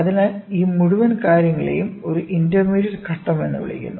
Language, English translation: Malayalam, So, this entire thing is called as an intermediate phase; intermediate phase